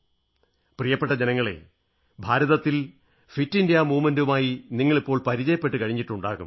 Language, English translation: Malayalam, My dear countrymen, by now you must be familiar with the Fit India Movement